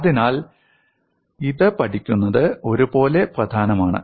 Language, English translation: Malayalam, So learning this is equally important